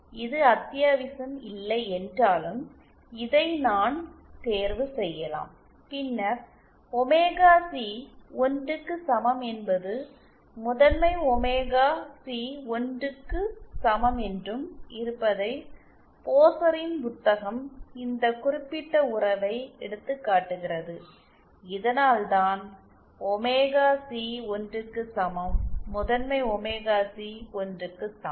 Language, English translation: Tamil, If I chose this I can chose this that is not necessary then omega c equal to 1 implies capital omega c also equal to 1 and book by Pozar this particular relation taken and this is why omega c is equal to 1 corresponds to capital omega c equal to 1